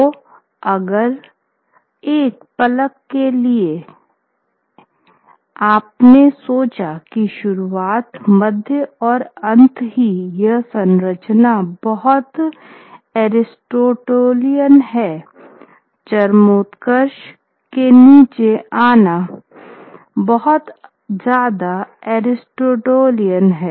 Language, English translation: Hindi, So, if for a moment you thought that this structure of the beginning, middle and end is very aristotelian, this is, this climb down from the climax is something that is very aristotelian